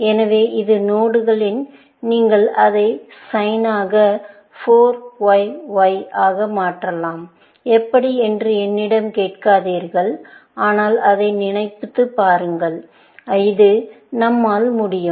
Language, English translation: Tamil, So, this is the node, when you can transform it into sin raise to 4 Y Y; do not ask me how, but think for it, which we can